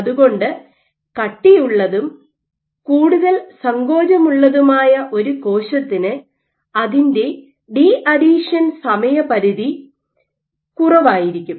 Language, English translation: Malayalam, So, for a cell which is stiffer and more contractile its deadhesion timescale will be lower